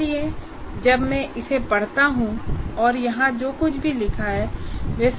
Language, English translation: Hindi, So when I read this and whatever that is written here, it should make sense